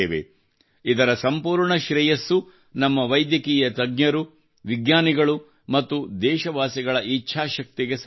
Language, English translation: Kannada, Full credit for this goes to the willpower of our Medical Experts, Scientists and countrymen